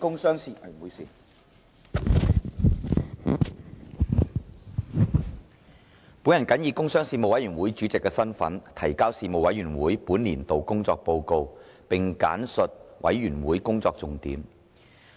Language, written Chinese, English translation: Cantonese, 主席，本人謹以工商事務委員會主席身份，提交事務委員會本年度工作報告，並簡述事務委員會工作重點。, President in my capacity as Chairman of the Panel on Commerce and Industry the Panel I submit the report on the work of the Panel for this session and briefly highlight its major areas of work